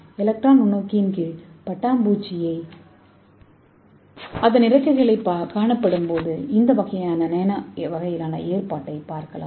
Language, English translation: Tamil, When you see that butterfly wings under the electron microscope you will get this kind of Nano scale arrangement, so how do you mimic wing colors